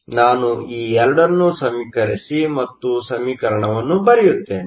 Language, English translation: Kannada, So, let me equate these 2 and write the expression